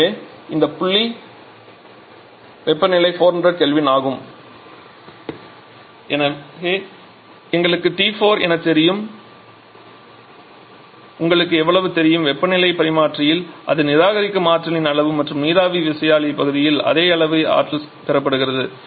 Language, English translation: Tamil, So, this point temperature is 400 Kelvin we already know T 4 Prime so you know how much amount of energy it is rejecting in the heat exchanger and the same amount of energy is being received by the steam turbine part